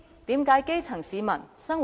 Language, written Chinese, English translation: Cantonese, 這就是基層市民的生活。, This is the life of the grass roots